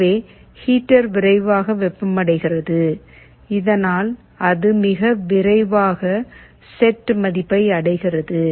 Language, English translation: Tamil, So, the heater heats up quickly so that it very quickly attains the set value